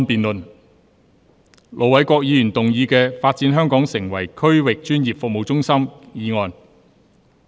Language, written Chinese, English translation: Cantonese, 盧偉國議員動議的"發展香港成為區域專業服務中心"議案。, Ir Dr LO Wai - kwok will move a motion on Developing Hong Kong into a regional professional services hub